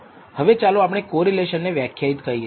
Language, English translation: Gujarati, Now, let us define what we call correlation